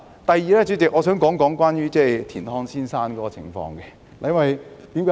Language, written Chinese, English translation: Cantonese, 第二，主席，我想說說田漢先生。, Second Chairman I would like to talk about Mr TIAN Han